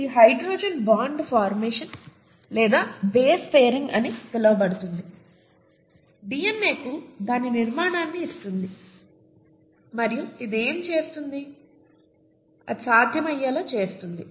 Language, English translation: Telugu, So this hydrogen bond formation or base pairing as it is called, is what gives DNA its structure and it makes it possible to do what it does